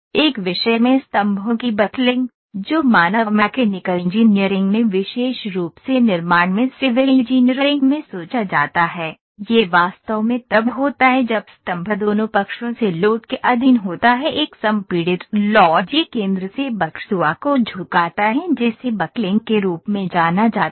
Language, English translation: Hindi, Buckling of columns in one subjects that is thought in man mechanical engineering specifically in civil engineering in construction it is actually the when column is subjected to the load from both the sides a compressive load it tends to buckle from the centre that is known as buckling